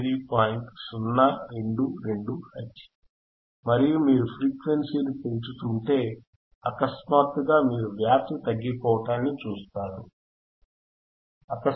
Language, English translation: Telugu, 022 Hertz and if you increase the frequency, increase the frequency suddenly you will see the drop in the amplitude